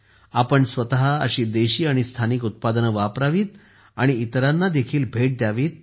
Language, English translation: Marathi, We ourselves should use such indigenous and local products and gift them to others as well